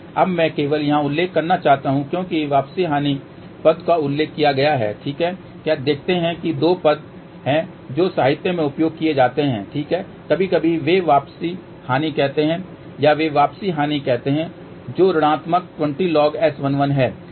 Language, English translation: Hindi, Now, I just want to mention here because the term return losses mentioned, ok see there are two terms which are used in the literature, ok sometimes they say return loss if they say return loss that is minus 20 log S 11